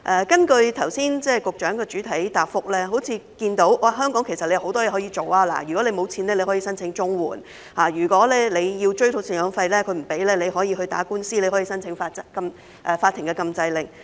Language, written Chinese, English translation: Cantonese, 根據局長剛才的主體答覆，好像看到在香港，相關人士有很多事可以做，如果沒有錢，可以申請綜援，如果追討贍養費不果，可以打官司，申請法庭禁制令。, According to the Secretarys main reply just now it seems that in Hong Kong there are many things that these people can do . If they are hard up for money they can apply for CSSA . If they fail to recover any maintenance payments they can file a lawsuit and apply to the Court for a Prohibition Order